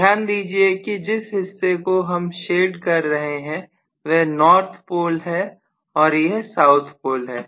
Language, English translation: Hindi, Please note that this is the portion I am shading this is north pole, this is south pole and so on, fine